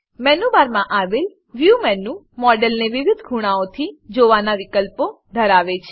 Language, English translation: Gujarati, View menu on the menu bar, has options to view the model from various angles